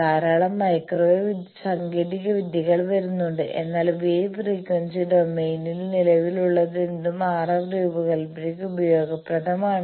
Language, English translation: Malayalam, There are lot of microwave technology coming up, but whatever is existing in wave frequency domain is useful thing for RF design